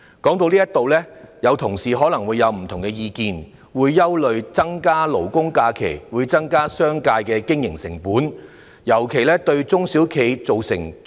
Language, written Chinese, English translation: Cantonese, 說到這裏，同事可能會有不同的意見，憂慮增加勞工假期會令商界的經營成本增加，尤其是對中小企造成衝擊。, At this point colleagues may have different views and worry that additional labour holidays will increase the operating costs of the business sector and deal a blow to the SMEs in particular